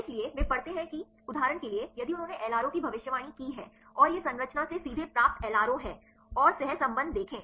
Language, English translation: Hindi, So, they read that for example, if they predicted the LRO and this is the LRO obtained directly from the structure and see the correlation